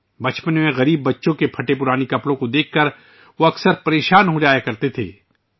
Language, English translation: Urdu, During his childhood, he often used to getperturbedon seeing the torn clothes of poor children